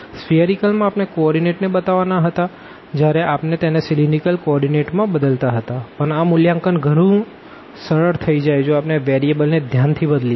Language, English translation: Gujarati, In spherical we have to represent the coordinates in spherical coordinate when we are changing or in cylindrical coordinates, but the evaluation become much easier if we have suitable change there in variables